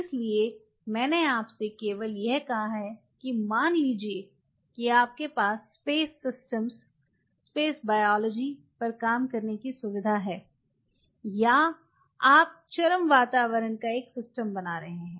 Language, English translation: Hindi, So, I have only talk to you about say suppose you have a facility of working on space systems, space biology or you have your creating a system of extreme environment